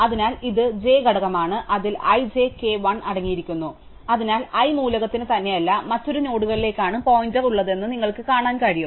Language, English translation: Malayalam, So, this is the component j and it contains i, j, k, l, so you can see that the element i has a pointer not to itself, but to another nodes